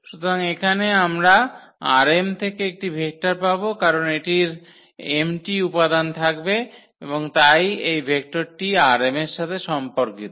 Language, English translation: Bengali, So, as a product here we will get a vector from this R m because this will have m component and so, this vector will belong to R m